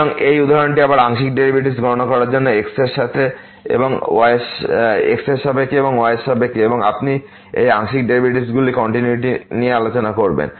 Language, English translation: Bengali, So, this example again to compute the partial derivatives with respect to and with respect to and also you will discuss the continuity of these partial derivatives